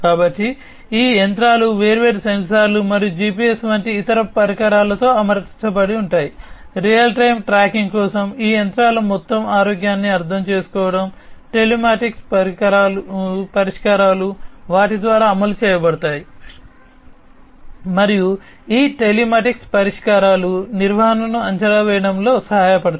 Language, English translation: Telugu, So, these machinery are equipped with different sensors and different other devices like GPS etcetera for real time tracking, for understanding the overall health of these machines, telematic solutions are deployed by them